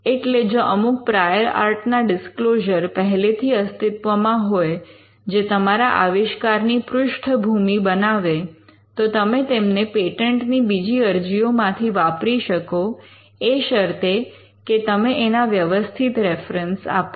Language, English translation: Gujarati, So, if there are prior art disclosures which forms a background for your invention, you could just use them from other patent applications, provided you give the references to it